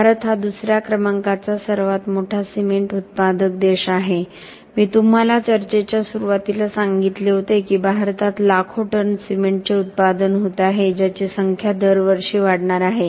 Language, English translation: Marathi, India is the second largest cement producing country I told you in the beginning of the talk that we are going to be talking about millions of tons of cement being produced in India the numbers are going to increase every year